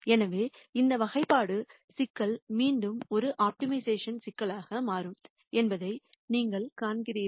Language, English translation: Tamil, So, you see that again this classi cation problem becomes an optimization problem